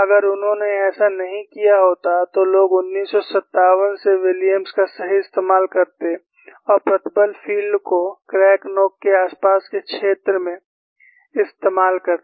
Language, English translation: Hindi, If he had not made that, then people would have used Williams right from 1957 and model the stress field in the near facility of the crack tip